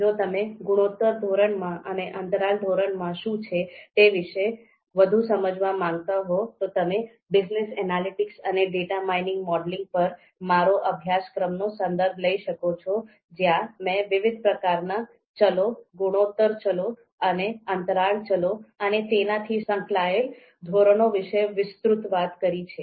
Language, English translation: Gujarati, More on if you want to understand more about what is ratio scale and what is interval scale, you can refer to my previous course on ‘Business Analytics and Data Mining Modeling’ where I have talked extensively about the different kind of variables, ratio variables and interval variables, that are there and of course the associated scales